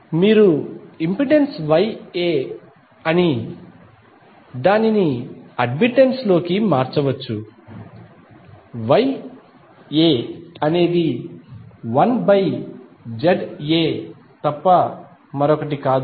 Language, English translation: Telugu, You can convert impedance into admittance that is Y A, Y A is nothing but 1 by Z A